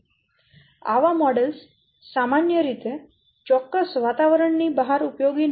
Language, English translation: Gujarati, Such models usually are not useful outside of their particular environment